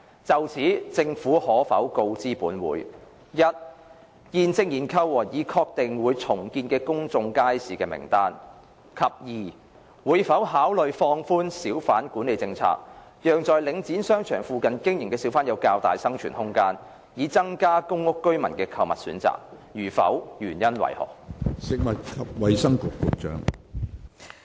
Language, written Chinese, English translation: Cantonese, 就此，政府可否告知本會：一現正研究和已確定會重建的公眾街市的名單；及二會否考慮放寬小販管理政策，讓在領展商場附近經營的小販有較大生存空間，以增加公屋居民的購物選擇；如否，原因為何？, In this connection will the Government inform this Council 1 of the list of the public markets the redevelopment of which are being studied and those which have been confirmed; and 2 whether it will consider relaxing the hawker management policy to enable hawkers trading near the shopping centres managed by the Link to have more room for survival so as to provide more shopping choices for PRH residents; if not of the reasons for that?